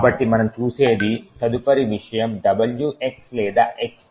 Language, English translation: Telugu, So, the next thing which we will look at is the WX or X bit